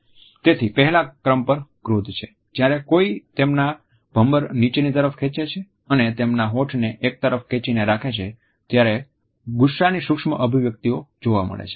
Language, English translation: Gujarati, So, number 1 is anger; the anger micro expression is found when someone pulls their eyebrows down and also purses their lip into a hard line